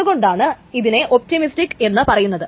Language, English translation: Malayalam, Why it is called optimistic